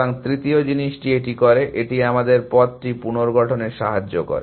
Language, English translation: Bengali, So, the third thing it does is, it allows us to reconstruct the path